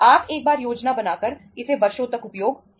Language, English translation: Hindi, You cannot plan for once and use it for years